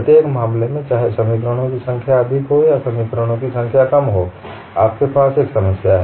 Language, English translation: Hindi, In either case, whether the number of equations is more or number of equations is less, you have a problem